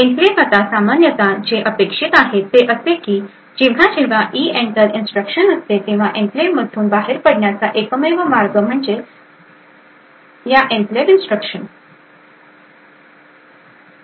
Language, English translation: Marathi, Now typically what is expected is that whenever there is EENTER instruction the only way to exit from the enclave is by this Enclave instruction